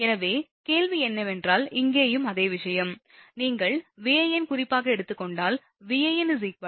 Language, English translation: Tamil, So, question is that, here also same thing that, if you take Van as the reference then suppose Van is equal to Van angle 0, right